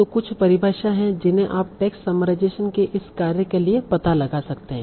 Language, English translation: Hindi, So there are some definitions that you can find for this task of text summarization